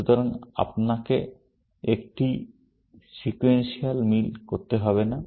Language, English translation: Bengali, So, that you do not have to do a sequential match